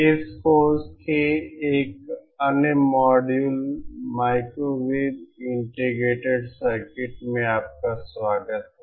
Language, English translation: Hindi, Welcome to another module of this course ÒMicrowave Integrated CircuitsÓ